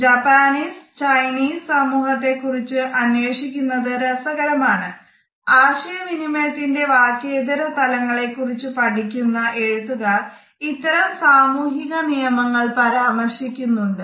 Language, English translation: Malayalam, It is interesting to refer to the Japanese and the Chinese societies, various authors who have worked in the area of nonverbal aspects of communication have referred to these societal norms